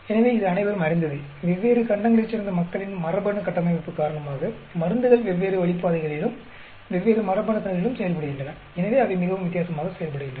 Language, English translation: Tamil, So, it is well known because of the genetic makeup of the people from different continents, drugs may be acting on different path ways and different genes, and hence they may be performing very differently